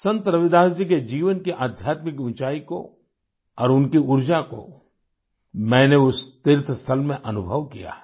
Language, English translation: Hindi, I have experienced the spiritual loftiness of Sant Ravidas ji's life and his energy at the pilgrimage site